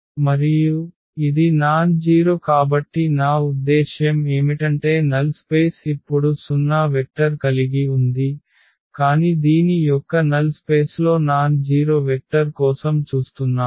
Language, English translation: Telugu, And, since it is a nonzero I mean the null space also has a now has a 0 vector, but we are looking for the nonzero vector in the null space of this